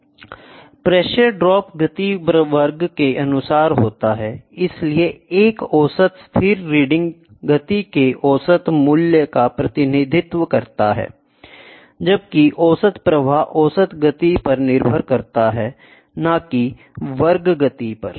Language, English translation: Hindi, The pressure drop is the function of speed squared; hence, a mean steady reading represents a mean value of the speed squared while the average flow depends on the mean speed not squared